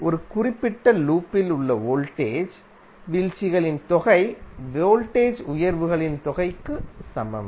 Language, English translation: Tamil, That sum of the voltage drops in a particular loop is equal to sum of the voltage rises